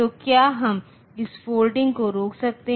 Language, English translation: Hindi, So, can we stop this folding definitely we can stop it